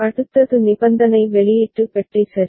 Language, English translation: Tamil, Next is conditional output box ok